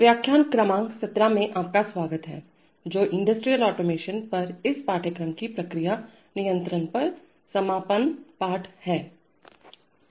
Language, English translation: Hindi, Welcome to lecture number 17 which is the concluding lesson on process control of this course on industrial automation